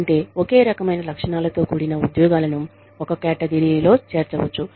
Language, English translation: Telugu, Which means that, jobs with the same kind of characteristics, can be put together, in a category